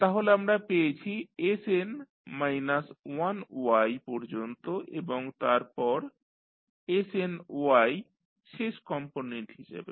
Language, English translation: Bengali, So, we have got up to sn minus 1Y and then snY for the last component